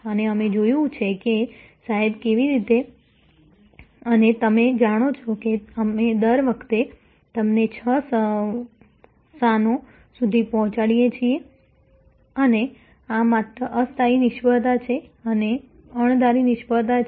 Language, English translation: Gujarati, And we have seen that how and you know sir that, we have every time deliver to you and the last six locations and this is just temporary failure and then, unforeseen failure